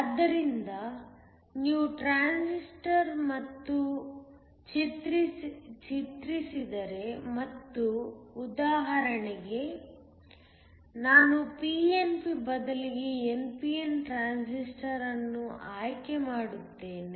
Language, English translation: Kannada, So if you redraw this and just for example, I will choose an npn transistor instead of a pnp